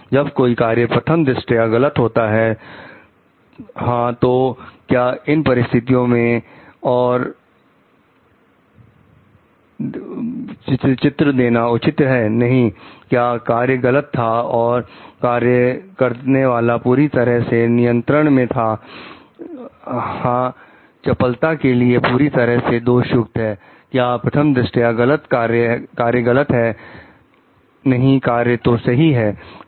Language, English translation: Hindi, When the act of the sort that is prime facie wrong yes, was the justification in this circumstances no, the act was wrong was the agent in full control yes, the agility is fully to blame is the act prima facie wrong no, the act is ok